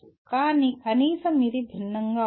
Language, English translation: Telugu, But at least it is different